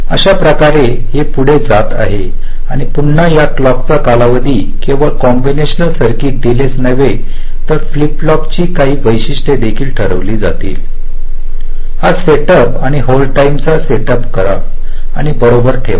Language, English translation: Marathi, this clock period will be decided not only by the combination circuit delay, but also some characteristics of this flip flop, this set up and hold times